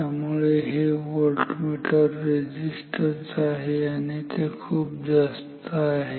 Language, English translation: Marathi, So, this is voltmeter resistance and this should be very high